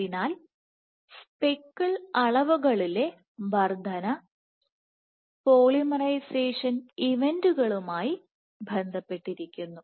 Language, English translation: Malayalam, So, increase in speckle dimensions is linked to polymerization events